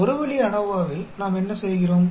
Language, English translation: Tamil, What do we in One way ANOVA